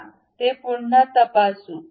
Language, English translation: Marathi, Let us recheck it